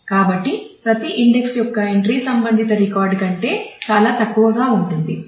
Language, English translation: Telugu, So, the entry of every index would be much smaller than the corresponding record